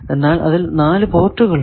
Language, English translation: Malayalam, So, at least 3 ports are required